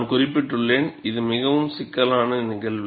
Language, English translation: Tamil, And I also mentioned, it is a very complex phenomenon